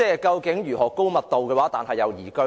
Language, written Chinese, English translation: Cantonese, 究竟如何高密度又宜居呢？, How can a liveable high - density city be created?